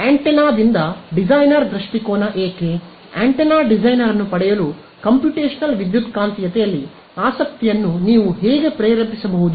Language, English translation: Kannada, So, from an antenna designer point of view why would, how can you motivate an antenna designer to get interested in computational electromagnetics